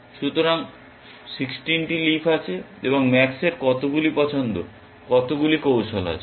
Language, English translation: Bengali, So, there are 16 leaves, and how many choices, how many strategies does max have